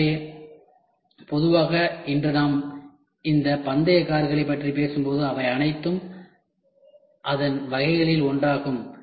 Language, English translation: Tamil, So, generally today when we talk about this racing cars, they are all one of its kind